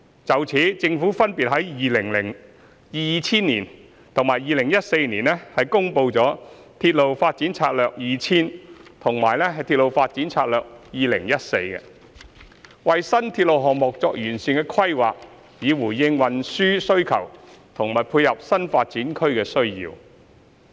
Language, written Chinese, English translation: Cantonese, 就此，政府分別在2000年及2014年公布了《鐵路發展策略2000》和《鐵路發展策略2014》，為新鐵路項目作完善規劃，以回應運輸需求和配合新發展區的需要。, In this connection the Government published the Railway Development Strategy 2000 and the Railway Development Strategy 2014 RDS - 2014 in 2000 and 2014 respectively providing comprehensive planning for new railway projects to respond to transport demand and meet the need of new development areas